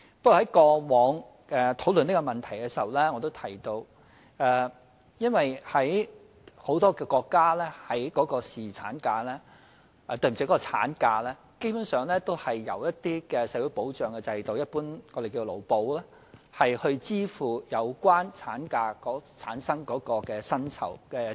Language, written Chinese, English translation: Cantonese, 不過，正如我以往討論這項問題時提到，很多國家的產假，基本上也是由一些社會保障制度——即我們一般稱為勞保——支付有關產假所產生的薪酬開支。, But as I said when this issue was discussed before in many countries the wage expenses arising from maternity leave are basically met by some social security systems or labour insurance as we generally call it